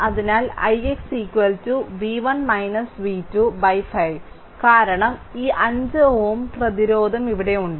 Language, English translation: Malayalam, So, i x is equal to v 1 minus v 2 by 5 because this 5 ohm resistance is here right